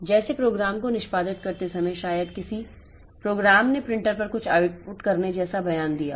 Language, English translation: Hindi, Like while executing the program may be a program has given a statement like say to output something onto the printer